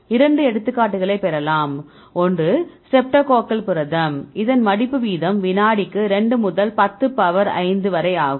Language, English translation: Tamil, So, you get 2 examples one is a streptococcal protein here the rate is 2 into 10 to power 5 per second